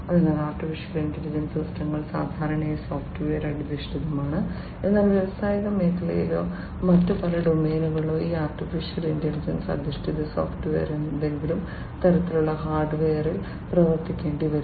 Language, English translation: Malayalam, So, remember one thing that AI systems are typically software based, but in industrial sector or, many other domains they these software, these AI based software will have to work on some kind of hardware